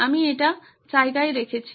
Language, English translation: Bengali, I have put it in place